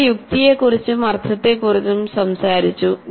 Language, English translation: Malayalam, We have talked about sense and meaning